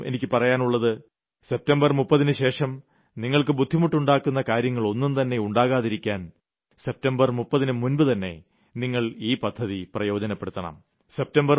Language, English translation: Malayalam, And so I say that please avail of this facility before this date and save yourselves from any possible trouble after the 30th of September